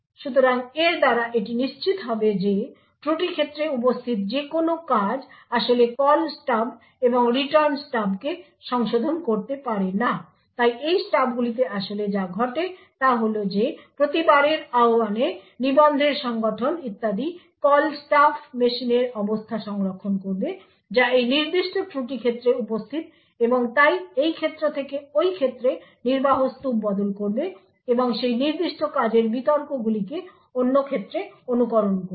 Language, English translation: Bengali, So by doing this one would ensure that any function present in the fault domain cannot actually modify the Call Stub and the Return Stub, so what actually happens in these stubs is that every time there is an invocation the call stuff would store the state of the machine comprising of the registers and so on which present in this particular fault domain and it would also switch the execution stack from this domain to this domain and copy the arguments for that particular function to the other domain